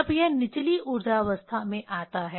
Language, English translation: Hindi, When it jump to the lower energy state